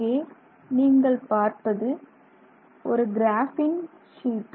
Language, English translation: Tamil, So, what you see here is a graphene sheet